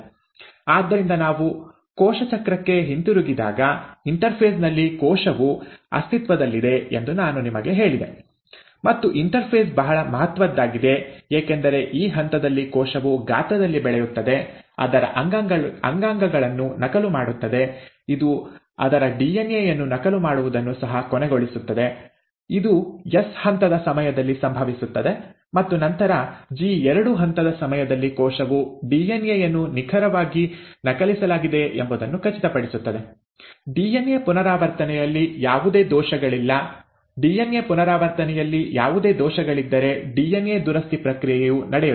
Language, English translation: Kannada, So, when we go back to cell cycle, I told you that majority of the time, a cell exists in the interphase; and the interphase is of very huge importance because it is during this stage that the cell grows in size, duplicates its organelles, it also ends up duplicating its DNA, which happens during the S phase, and then during the G2 phase, the cell ensures that the DNA has been copied exactly, there are no errors in DNA replication, if at all there are any errors in, errors in DNA replication, the process of DNA repair will take place